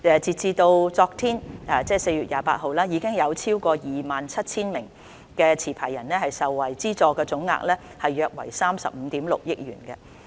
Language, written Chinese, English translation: Cantonese, 截至昨天，已有超過 27,000 名持牌人受惠，資助總額約為35億 6,000 萬元。, As at yesterday the scheme has benefited over 27 000 licence holders and the total amount of subsidy is around 3.56 billion